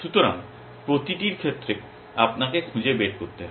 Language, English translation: Bengali, So, with each you have to find